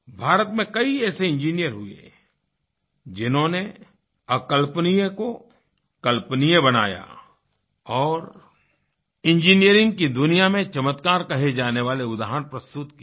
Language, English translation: Hindi, There have been several engineers in India who made the unimaginable possible and presented such marvels of engineering before the world